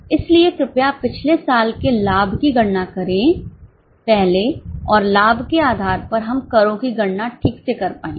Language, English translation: Hindi, So, please calculate last year's profit first and based on the profit we will be able to calculate the taxes